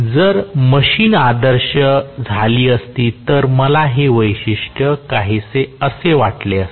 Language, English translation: Marathi, If the machine had been ideal, I would have had the characteristic somewhat like this